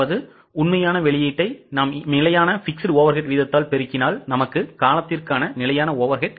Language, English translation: Tamil, So, actual output into standard fixed overhead rate gives you the standard overhead for the period